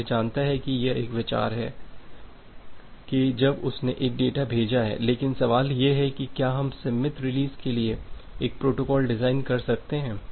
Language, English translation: Hindi, So, it knows it has an idea that when it has sent a particular data, but the question comes that can we design a protocol for the symmetric release